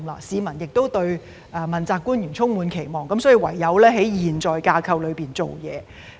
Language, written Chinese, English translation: Cantonese, 市民對問責官員充滿期望，所以唯有在現時的架構裏下工夫。, The public has high expectations of the accountability officials so we are left with no alternative but to work on the current structure